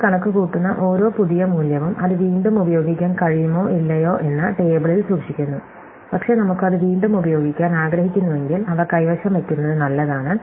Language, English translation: Malayalam, So, every new value that we compute, we store in the table that could be able to use it again or not we do not know, but if we want to use it again, it is good to have it there